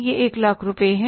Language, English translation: Hindi, This is 3 lakh rupees